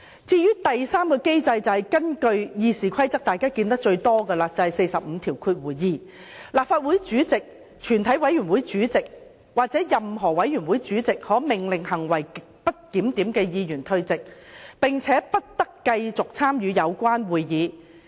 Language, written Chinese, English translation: Cantonese, 至於第三個機制，便是最常見的《議事規則》第452條。立法會主席、全體委員會主席或任何委員會主席可命令行為極不檢點的議員退席，不得繼續參與有關會議。, The third mechanism is the most commonly invoked RoP 452 which provides that the President shall order a Member whose conduct is grossly disorderly to withdraw immediately from the Council for the remainder of that meeting